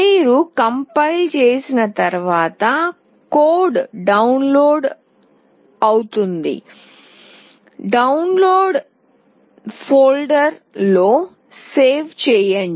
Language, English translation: Telugu, Once you compile then the code will get downloaded, save it in the Download folder